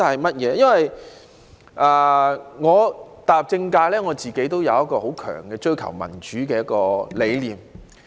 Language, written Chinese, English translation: Cantonese, 自我踏入政界以來，我自己有追求民主的強大理念。, Ever since I joined the political sector I have always cherished a strong conviction of pursuing democracy